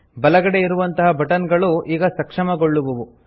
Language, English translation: Kannada, The buttons on the right side are now enabled